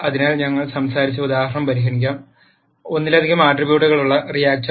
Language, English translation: Malayalam, So, let us consider the example that we talked about; the reactor with multi ple attributes